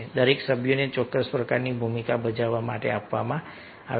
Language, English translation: Gujarati, each members are given certain kind of role to perform